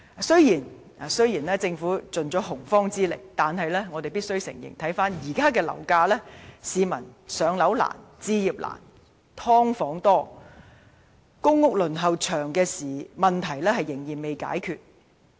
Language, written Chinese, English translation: Cantonese, 雖然政府已出盡洪荒之力，但我們必須承認，回看現時的樓價，市民"上樓難"、置業難、"劏房"多及公屋輪候時間長的問題仍未解決。, Despite the Governments very earnest endeavours we must confess that current property prices have rendered it very difficult for the people to purchase a flat while we are still fraught with problems of having a significant number of subdivided units and long waiting time for public housing